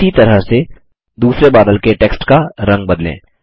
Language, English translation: Hindi, In the same manner, lets change the text color of the second cloud